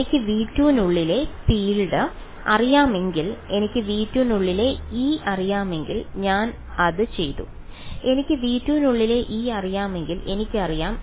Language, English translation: Malayalam, If I know the field inside v 2 if I know E inside v 2 am I done yes, if I know E inside v 2 then the integral I know; E i I know therefore, I know E everywhere